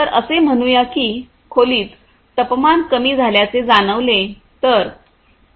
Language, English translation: Marathi, So, let us say that it has been sensed that the temperature has gone down in the room